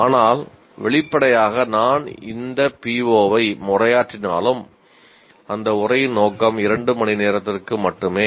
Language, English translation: Tamil, So obviously even though I am addressing this PO, I am only dealing with the scope of that address is limited to two hours